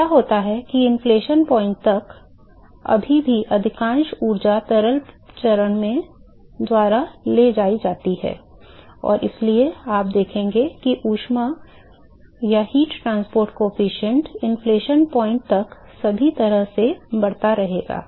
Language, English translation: Hindi, So, what happen is that till the inflection point, the still the majority of the energy is carried by the liquid phase, and therefore, what you will observe is that the heat transport coefficient will continue to increase all the way up to the inflection point